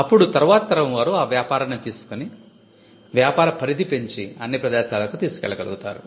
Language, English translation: Telugu, Then the next generation takes the business and they are able to broaden it and take it to all places